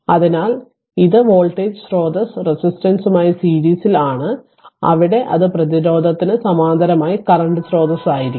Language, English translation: Malayalam, So, because it is voltage source is in series resistance, there it will be current source in parallel with the resistance